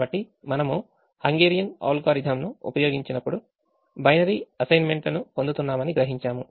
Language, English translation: Telugu, so when we use the hungarian algorithm we realize that we were getting the binary assignments